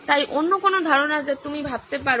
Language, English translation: Bengali, So any other ideas that you can think of